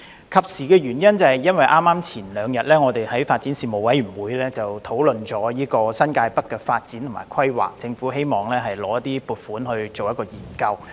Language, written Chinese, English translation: Cantonese, 及時是因為我們3天前剛在發展事務委員會的會議上，討論新界北的發展和規劃，而政府希望申請撥款進行研究。, It is timely because we had a discussion on the development and planning of New Territories North at a meeting of the Panel on Development three days ago and the Government would like to apply for funding for study